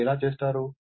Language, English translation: Telugu, How you will do this